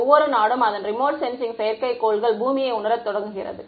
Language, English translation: Tamil, I mean every country launches its remote sensing satellites to sense the earth right